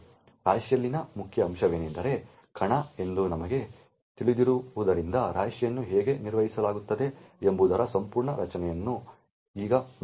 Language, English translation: Kannada, Now let us look at the whole structure of how the heap is managed as we know the main component in the heap is the arena